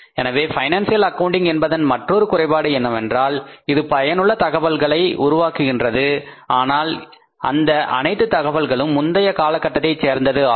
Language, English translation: Tamil, So, another limitation of the financial accounting is it generates very useful information but that entire information is historical in nature